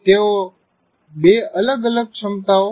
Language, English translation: Gujarati, They are two separate abilities